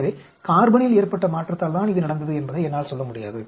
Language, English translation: Tamil, So, I will not be able to tell whether it is because of the change in carbon